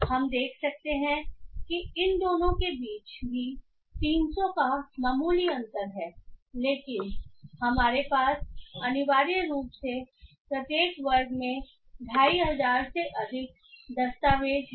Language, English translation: Hindi, So yeah we can find there is a slight difference of 300 or so between both of them but we essentially have more or less 2,500 documents in each of those classes